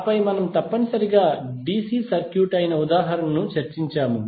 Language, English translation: Telugu, And then we discussed the example which was essentially a DC circuit